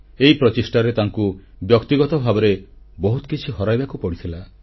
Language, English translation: Odia, In this endeavour, he stood to lose a lot on his personal front